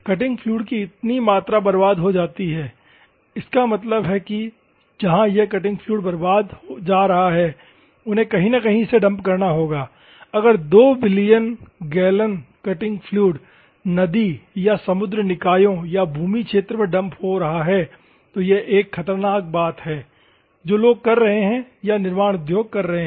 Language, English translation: Hindi, This amount of cutting fluid is wasted; that means, that where this cutting fluid is going they have to dump somewhere if 2 billion gallons of cutting fluid is dumping into the river or sea bodies or land fields, this is a drastic and dangerous thing that people are doing or the manufacturing industries are doing